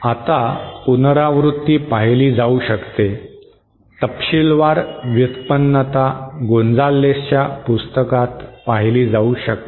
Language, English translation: Marathi, Now that the revision can be seen, the detailed derivation can be seen in the book by Gonzales